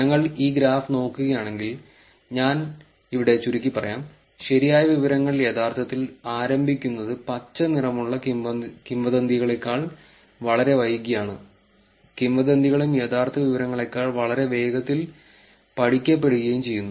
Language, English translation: Malayalam, If we look at this graph, I will make it short here true information is actually starting much later than the rumour information which is green colour and rumour is also studying much faster than the real information